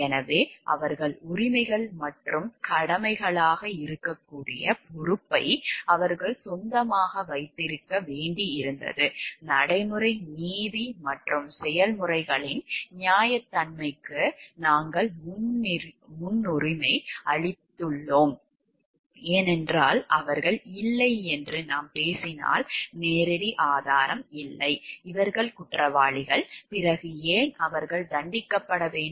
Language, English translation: Tamil, So, they had to own up the responsibility where it may be rights and duties have you know like give prioritized over the procedural justice and fairness of the processes, because see if we talk of like they were not there is no direct evidence like these people have were guilty then why they should be convicted this is not a correct process to do so